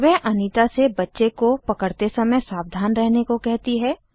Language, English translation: Hindi, She tells Anita to be careful while carrying the baby